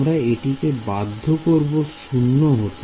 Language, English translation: Bengali, We will force to be 0 right